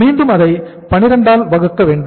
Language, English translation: Tamil, So we will be dividing it again by 12